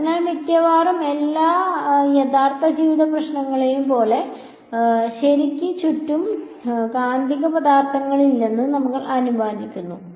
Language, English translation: Malayalam, So, we are assuming that as with almost all real life problems the there are no magnetic materials around ok